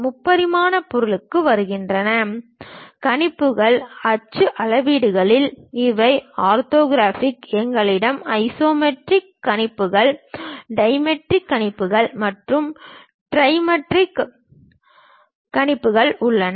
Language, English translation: Tamil, Coming to three dimensional object; the projections, in axonometric projections these are orthographic; we have isometric projections, dimetric projections and trimetric projections